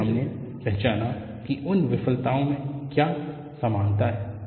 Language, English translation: Hindi, Then we identified what is the commonality in those failures